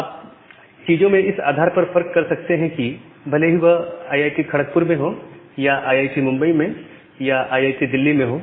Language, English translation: Hindi, So, what you can possibly do that you can possibly disambiguate the things based on whether it is IIT Kharagpur or IIT Bombay or IIT Delhi